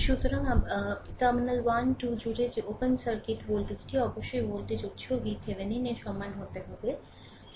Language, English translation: Bengali, So, that open circuit voltage across the terminal 1 2 must be equal to the voltage source V Thevenin